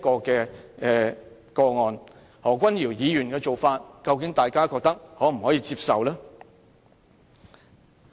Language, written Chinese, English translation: Cantonese, 大家覺得何君堯議員的表現是否可以接受呢？, Do Members consider the conduct of Dr Junius HO to be acceptable?